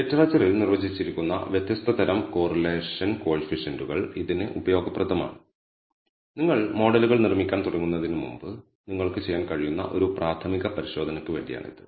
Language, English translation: Malayalam, Different types of correlation coefficients that are been defined in the literature what they are useful for this is a preliminary check you can do before you start building models